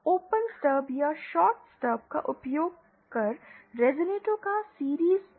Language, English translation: Hindi, Series connection of resonators using open stubs or shorted stubs is not possible